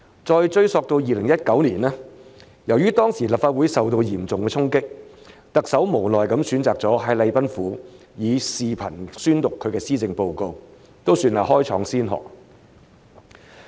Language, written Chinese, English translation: Cantonese, 再追溯到2019年，由於當時立法會受到嚴重的衝擊，特首無奈地選擇了在禮賓府以視頻方式宣讀施政報告，算是開創先河了。, Back in 2019 as the Legislative Council Complex had been severely stormed the Chief Executive was left with no choice but to resignedly deliver the policy address by video from the Government House setting a precedent as it were